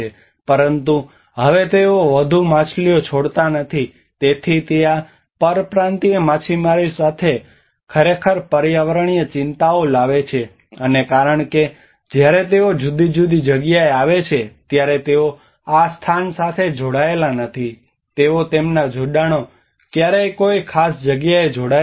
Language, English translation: Gujarati, But now they are not leaving any more fish, so that is actually bringing a lot of environmental concerns especially with these migrant fishermen, and because when they are coming in different place they are not tied to this place they are not their attachments are never tied to a particular place